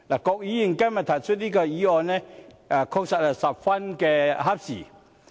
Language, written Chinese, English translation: Cantonese, 郭議員今天提出這項議案，確實是十分合時。, It is indeed an opportune time that Mr KWOK proposed this motion today